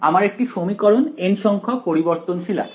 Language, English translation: Bengali, I have got one equation n variables right